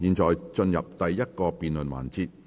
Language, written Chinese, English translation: Cantonese, 現在進入第一個辯論環節。, We now proceed to the first debate session